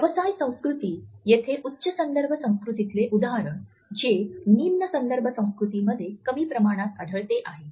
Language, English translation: Marathi, Business culture: Here a case in high context cultures, this is lesser in low context cultures